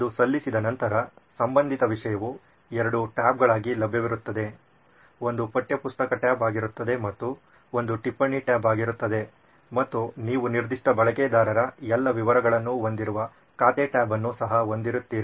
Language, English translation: Kannada, Once its submitted the relevant content will be available as two tabs, one will be a textbook tab and one will be a note tab and you will also have an account tab which has all the details of that particular user